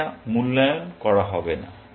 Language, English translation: Bengali, It would not be evaluated